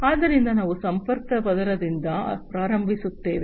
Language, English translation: Kannada, So, we will start from the very bottom connection layer